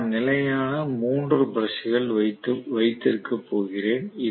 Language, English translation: Tamil, So I am going to have 3 brushes which are stationary